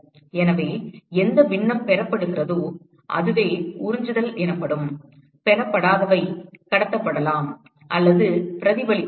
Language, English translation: Tamil, So, whatever fraction is received is what is called as absorptivity and whatever is not received can either be transmitted or reflected